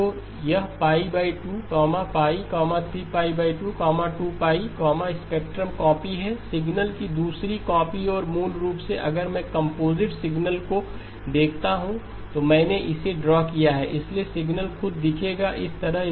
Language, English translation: Hindi, So this is pi by 2, pi, 3pi by 2, 2pi, spectrum, copy, the other copy of the signal and basically if I look at a composite signal that is I have just drawn it, so the signal itself will look like this